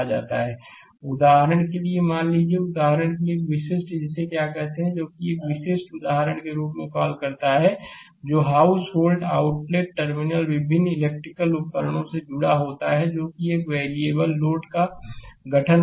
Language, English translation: Hindi, Suppose, for example, for example, say as a typical your what you call as a typical example the house hold outlet terminal connected to different electrical appliances constituting a variable load